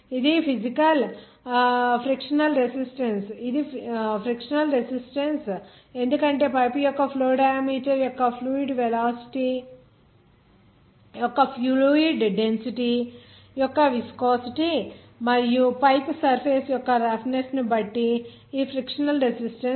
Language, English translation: Telugu, That is frictional resistance because this frictional resistance depending on the viscosity of the fluid density of the fluid velocity of the flow diameter of the pipe and also the roughness of the pipe surface